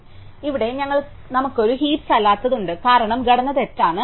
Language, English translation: Malayalam, So, here we have something which is not a heap, because the structure is wrong